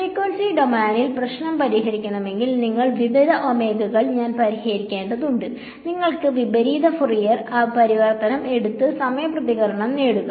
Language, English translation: Malayalam, So, if I wanted to solve this problem in frequency domain, I have to solve for various omegas; then take the inverse Fourier transform and get the time response